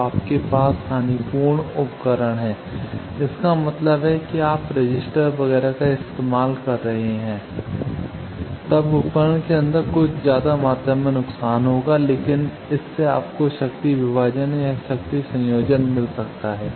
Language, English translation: Hindi, So, you have lossy device; that means, you can use resistors etcetera then there will be some high amount of loss inside the device, but that can give you power division power or combining that you can have